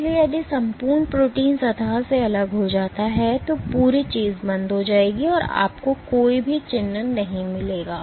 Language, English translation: Hindi, So, if the entire protein detaches from the surface then the entire thing will come off and you will not get any signature